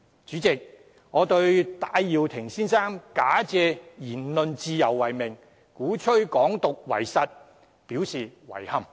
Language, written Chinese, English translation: Cantonese, 主席，我對於戴耀廷先生假借言論自由為名，鼓吹"港獨"為實表示遺憾。, President I must express regrets over Mr TAIs advocacy of Hong Kong independence using the freedom of speech as a pretext